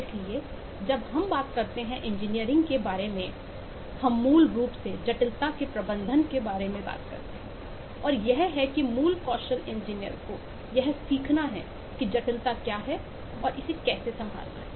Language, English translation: Hindi, so when we talk about engineering, we basically talk about how to manage complexity and that the core skill of an engineer is to learn how to, what is the complexity and how to handle it